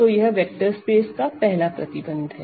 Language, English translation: Hindi, So, this is a quick review of what a vector space is